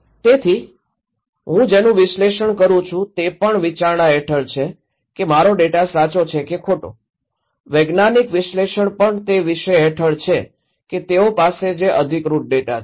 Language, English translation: Gujarati, So, what I am analysing is also under considerations if my data is right or wrong, the scientific analysis is also under subject of that what authentic data they have